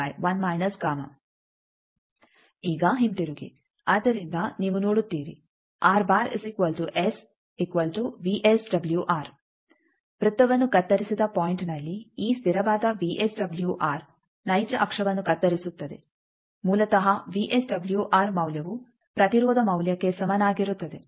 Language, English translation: Kannada, So, at the point where the circle is cut this constant, VSWR cuts the real axis basically that VSWR value equals to the resistance value